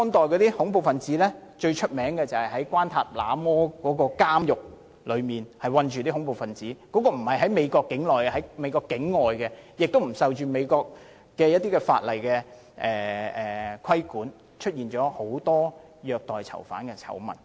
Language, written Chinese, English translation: Cantonese, 最廣為人知的做法，便是在關塔那摩監獄囚禁恐怖分子，這所監獄不是設於美國境內，而是在境外，而且不受美國法例規管，因而出現了很多虐待囚犯的醜聞。, The most well - known way is to lock them up in the Guantanamo Bay detention camp . This detention camp is not located within the territory of the United States and it is not regulated by the laws of the United States . Thus there are numerous scandals of abuse of detainees